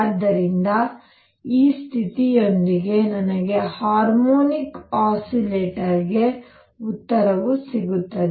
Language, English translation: Kannada, So, with this condition, I also get the answer for the harmonic oscillator and the correct answer